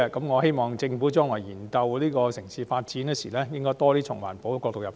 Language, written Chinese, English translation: Cantonese, 我希望政府將來研究城市發展時，應該多從環保的角度入手。, I hope the Government will give more attention to environmental protection when examining urban development in the future